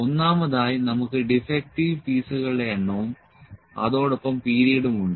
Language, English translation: Malayalam, First of all, we have number of defective pieces and the period